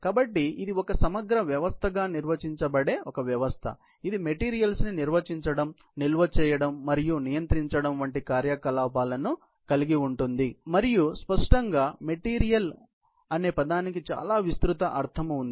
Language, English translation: Telugu, So, it is a system that can simply be defined as an integrated system, involving such activities as handling, storing and controlling of in the materials and obviously, the word material has very broad meaning